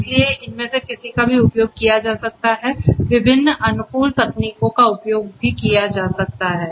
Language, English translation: Hindi, So, any of these could be used different optimization techniques could be used